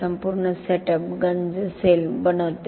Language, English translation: Marathi, The whole setup forms the corrosion cell